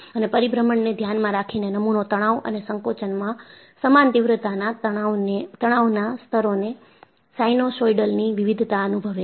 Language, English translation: Gujarati, And, in view of the rotation, the specimen experiences a sinusoidal variation of stress levels of equal magnitudes, in tension and compression